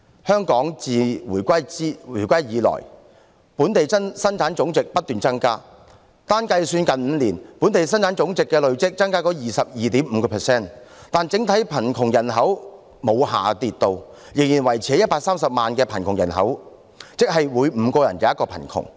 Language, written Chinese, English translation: Cantonese, 香港自回歸以來，本地生產總值不斷上升，單是計算最近5年，本地生產總值累計上升 22.5%， 但整體貧窮人口沒有下跌，仍然維持在130萬人，即每5人便有一人貧窮。, Since the reunification the Gross Domestic Product GDP has been on the increase and even if we use the last five years alone as the basis for calculation the GDP has seen a cumulative increase of 22.5 % . However the total number of people living in poverty did not decrease but has remained at 1.3 million people that is one in every five people live in poverty